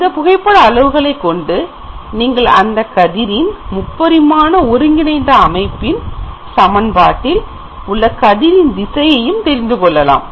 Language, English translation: Tamil, So, you can get from the camera parameters the equation of this particular direction of ray in the equation of this ray in the three dimensional coordinate system